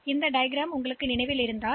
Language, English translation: Tamil, So, this diagram if you remember